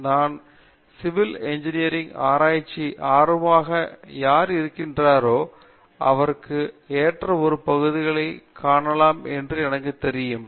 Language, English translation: Tamil, So, I am sure that any one who is interested in research in civil engineering would find an area that is suitable for him